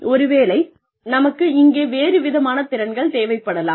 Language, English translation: Tamil, We may need a different set of skills here